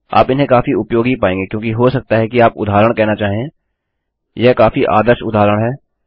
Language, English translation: Hindi, You will find them very useful because you might want to say for example this is a very classic example